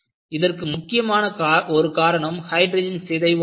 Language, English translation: Tamil, One of the important causes is hydrogen embrittlement